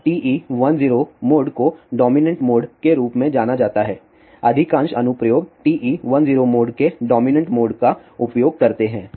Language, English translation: Hindi, Now, TE 10 mode is known as dominant mode, majority of the applications use TE 10 mode dominant mode